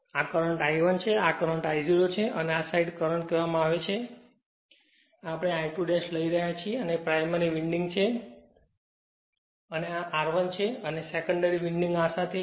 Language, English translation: Gujarati, So, this is the current I 1, this is the current I 0 and this side current is say we are taking I 2 dash and this is my primary winding right and this is my R 1 and my secondary winding is this one